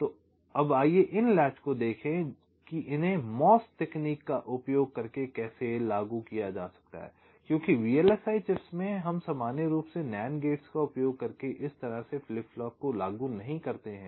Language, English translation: Hindi, so now let us see, ah these latches, how they can be implemented using mos technology, because in v l s i chips we normally do not implement flip flops like this using nand gates